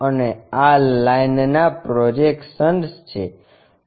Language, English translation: Gujarati, And this is basically projection of lines